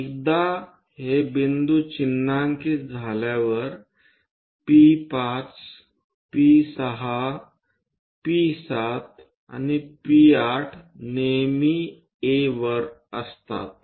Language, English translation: Marathi, Once it is done mark these points, P5, P6, P7 and P8 is always be at A